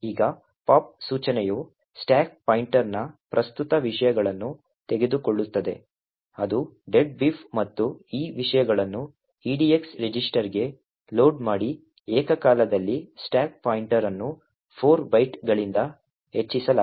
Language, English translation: Kannada, Now the pop instruction would take the current contents of the stack pointer which is deadbeef and load these contents into the edx register simultaneously the stack pointer is incremented by 4 bytes